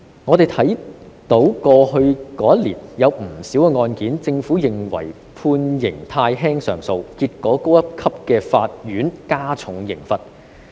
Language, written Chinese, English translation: Cantonese, 我們看到在過去一年間，對於不少案件，政府都認為判刑太輕而提出上訴，結果高一級的法院加重刑罰。, We can see that over the past year the Government considered the sentences of many cases too lenient and filed appeals resulting in enhanced sentencing by the higher courts